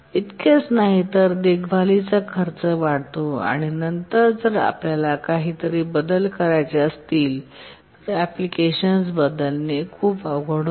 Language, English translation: Marathi, And not only that, maintenance cost increases later even to change something, becomes very difficult to change the application